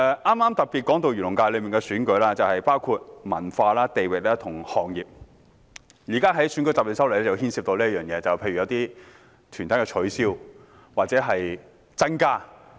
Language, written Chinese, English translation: Cantonese, 剛才特別提到漁農界的選舉，當中涵蓋不同文化、地域及行業，而今天討論的《條例草案》亦牽涉刪除或加入某些團體。, Just now I particularly mentioned that the election of the Agriculture and Fisheries FC covers a diversity of cultures regions and industries and this Bill under discussion today also involves the removal or addition of certain organizations